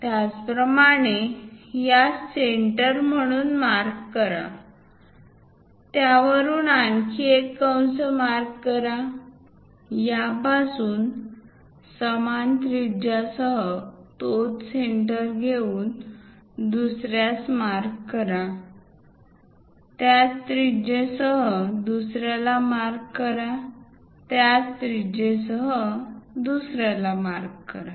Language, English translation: Marathi, Similarly, mark from this one as centre; mark one more arc, from this one as centre with the same radius mark other one, with the same radius mark other one, with the same radius mark other one